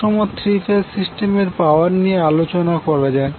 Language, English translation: Bengali, Now let us discuss the power in the balance three phase system